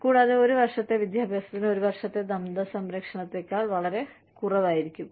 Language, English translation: Malayalam, And, one year of education may cost, much lesser than, one year of dental care